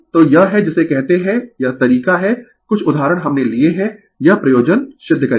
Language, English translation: Hindi, So, this is your what you call yourthis this is the wayfew examples we have taken this you solve your purpose right